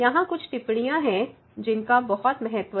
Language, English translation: Hindi, There are few remarks which are of great importance